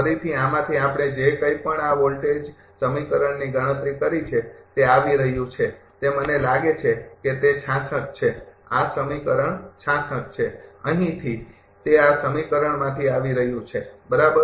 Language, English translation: Gujarati, Again, from this, whatever we have computed this voltage equation this is coming, that is I thing it is 66, this is equation 66 from this here it is coming from this equation, right